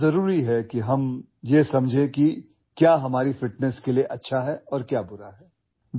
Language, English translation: Urdu, It is very important that we understand what is good and what is bad for our fitness